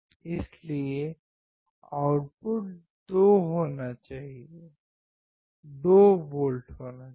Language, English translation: Hindi, So, output should be 2 volts